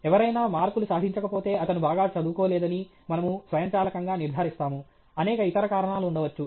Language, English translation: Telugu, If somebody has not scored marks, we automatically conclude that he has not studied well; there may be many other reasons okay